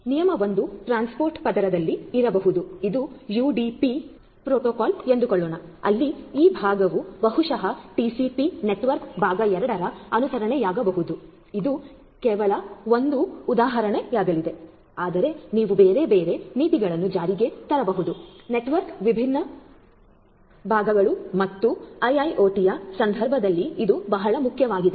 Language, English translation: Kannada, So, rule 1 could be like at the transport layer this could be following let us say UDP where as this one this part of the network part 2 will follow maybe TCP this is just an example, but you know you could have different other policies implemented in the different parts of the network and this is very very important in the context of IIoT